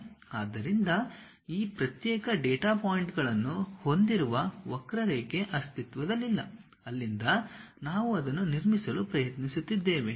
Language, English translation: Kannada, So, what is that curve does not exist what we have these discrete data points, from there we are trying to construct it